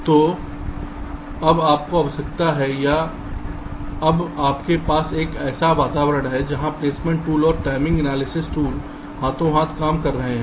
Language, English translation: Hindi, so you now require, or you now have, an environment where the placement tool and the timing analysis tool are working hand in hand